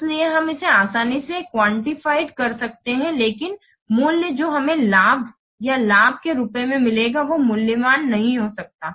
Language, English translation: Hindi, So we can easily quantify it but the value that you will get as the gain or the benefit that it cannot be a valued